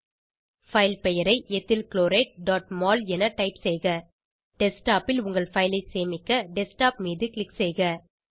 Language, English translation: Tamil, Type the file name as Ethyl Chloride.mol Click on Desktop to save your file on your Desktop